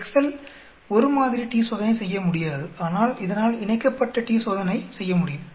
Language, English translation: Tamil, Excel cannot do a one Sample t Test but it can do a paired t Test